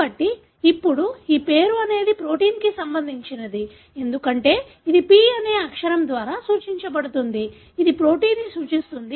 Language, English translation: Telugu, So, now this is the nomenclature is for the protein, because that is denoted by the letter P, which stands for protein